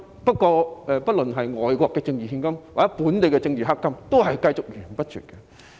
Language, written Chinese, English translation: Cantonese, 不論是外國的政治獻金，抑或本地的政治黑金，也會繼續綿綿不絕。, Be it political donations from overseas or local political black gold it will continue to flow in